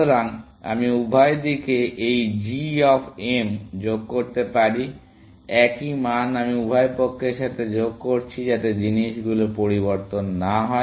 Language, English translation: Bengali, So, I can add this g of m to both sides; same value I am adding to both sides, so that does not change things